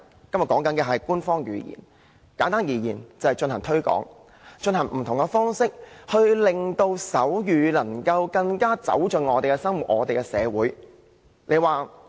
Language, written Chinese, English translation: Cantonese, 今天討論的是官方語言，簡單而言，便是要進行推廣，以不同的方式令手語能夠更走進我們的生活、我們的社會。, The point of the discussion today is an official language . In brief we need to promote sign language and think of various ways to let it play a greater role in our daily life and our community